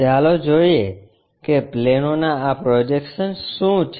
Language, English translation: Gujarati, Let us look at what are these projections of planes